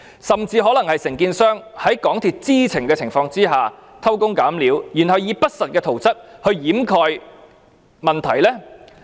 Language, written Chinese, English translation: Cantonese, 甚至可能是承建商在港鐵公司知情的情況下偷工減料，然後以不實的圖則掩蓋問題。, Worse still it could be possible that these jerry - building practices were adopted by the contractor with MTRCLs knowledge of them and these untrue drawings were then used to conceal the problem